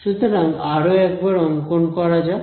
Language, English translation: Bengali, So, let us draw this once again